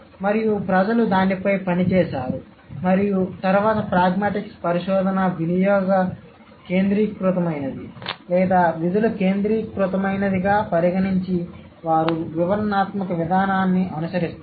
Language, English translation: Telugu, And people have worked on it and then pragmatic research considering this is usage centric or function centric, they do follow the descriptive approach